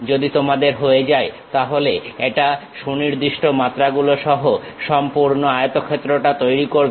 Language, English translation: Bengali, If you are done, then it creates the entire rectangle with proper dimensions